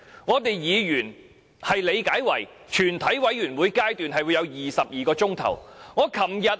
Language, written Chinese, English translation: Cantonese, 根據議員理解，這表示全體委員會有22小時辯論《條例草案》。, As far as Members understood it meant the Committee would have 22 hours to debate the Bill